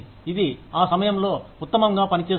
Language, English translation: Telugu, It works best at that time